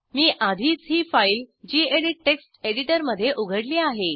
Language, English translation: Marathi, I have already opened this file in gedit text editor